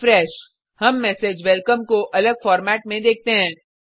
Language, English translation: Hindi, We see the message Welcome in a different format